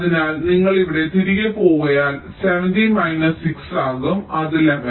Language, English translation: Malayalam, so if you go back here it will be seventeen minus six, it will be eleven